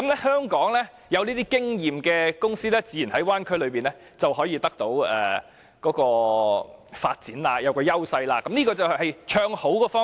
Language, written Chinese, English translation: Cantonese, 香港有經驗的公司自然在大灣區內會得到發展優勢，這是唱好的方面。, Experienced Hong Kong companies will naturally have advantages in the development of the Bay Area . All these are their praises of the Bay Area